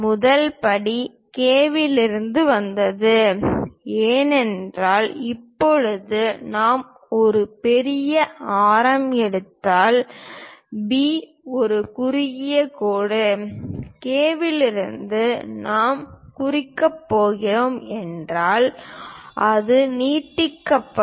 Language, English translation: Tamil, The first step is from K because now B is a shorter line if we are picking very large radius; from K, if I am going to mark, it will be extending